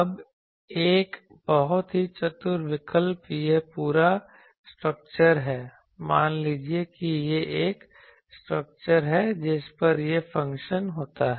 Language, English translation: Hindi, Now a very clever choice is this whole structure suppose this is a structure on which this function is there